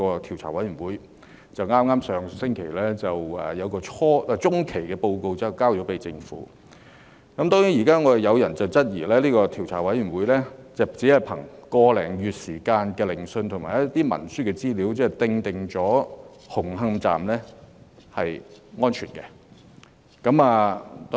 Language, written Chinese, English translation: Cantonese, 調查委員會上星期向政府提交了中期報告。有人質疑這個調查委員會只憑個多月的聆訊，以及一些文書資料便確定紅磡站的結構屬安全。, Some people have questioned the assertion of the Commission that the structure of Hung Hom Station is safe merely on basis of the hearings which lasted a month or so and some written instruments